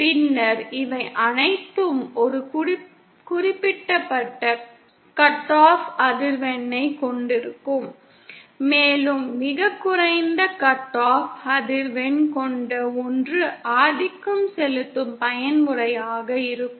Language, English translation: Tamil, And then all of these will have certain cut off frequency and the one that has the lowest cut off frequency will be the dominant mode